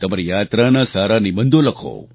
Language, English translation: Gujarati, Write good travelogues